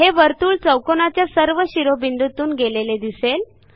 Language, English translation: Marathi, We see that the circle touches all the sides of the triangle